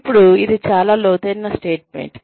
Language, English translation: Telugu, Now, this is a very profound statement